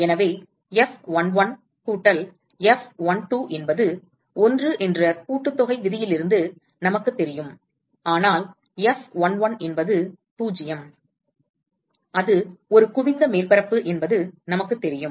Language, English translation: Tamil, So, we know from summation rule F11 plus F12 is 1, but we know that F11 is 0, it is a convex surface